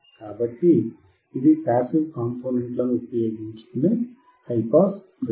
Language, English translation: Telugu, So, it is a high pass filter using passive component